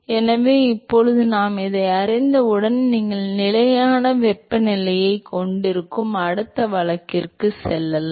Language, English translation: Tamil, So, now, once we know this, we can go to the next case where you have a constant temperature